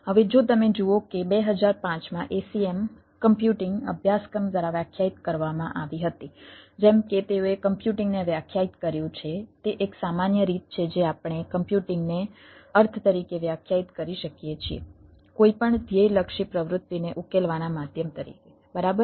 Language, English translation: Gujarati, now, if you look that, as defined by acm computing curricula in two thousand five, as they defined computing, it say ah general way, we can ah define computing to mean ah as a mean to solve any goal oriented activity